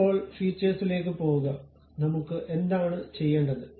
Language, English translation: Malayalam, Now, go to Features; what I want to do